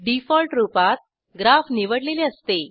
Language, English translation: Marathi, By default, Graph is selected